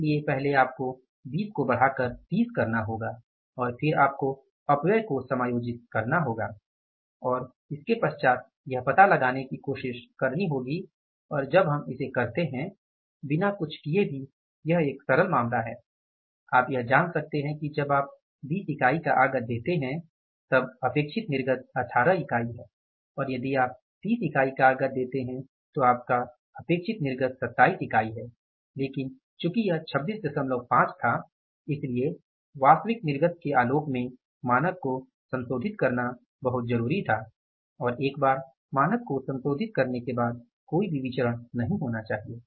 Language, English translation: Hindi, So first you have to upscale 20 up to 30 and then you have to adjust issue of the wastages and try to find out and when we do it even without doing anything is such a simple case you can find out that when you give the input of 20 units your output expected is 18 units when you give the input of 30 units your output expected is 27 units but since it was say 26